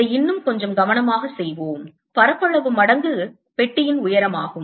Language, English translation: Tamil, let's do it little more carefully: area times the height of the boxi can write the height of the box here